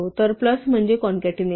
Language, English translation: Marathi, So, plus is concatenation